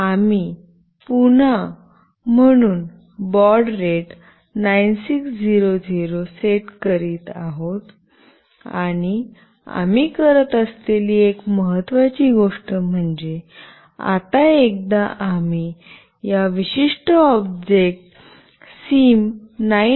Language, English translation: Marathi, We are setting up the baud rate as 9600 again and one of the important thing that we are doing, now once we have made this particular object SIM900A